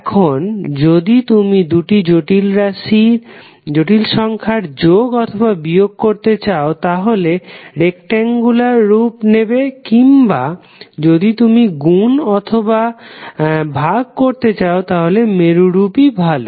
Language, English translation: Bengali, Now if you want to add or subtract the two complex number it is better to go with rectangular form or if you want to do multiplication or division it is better to go in the polar form